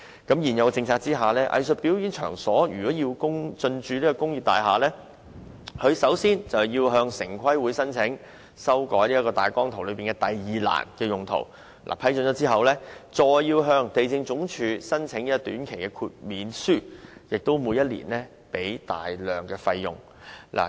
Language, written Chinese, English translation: Cantonese, 在現有政策下，藝術表演場所如果要進駐工廈，首先要向城市規劃委員會申請，修改分區計劃大綱圖中"第二欄用途"，獲得批准後，再向地政總署申請短期的租契條件豁免書，並需每年繳交龐大費用。, To satisfy the existing policy on the operation of arts performing venues in industrial buildings we will need to apply to the Town Planning Board for revision of the Column Two Uses under relevant Outline Zoning Plans . After the granting of permissions we will then need to apply to the Lands Department for the temporary waivers of lease conditions and pay large sum of forbearance fees